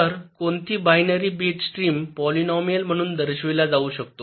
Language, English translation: Marathi, ok, so any binary bit stream can be represented as a polynomial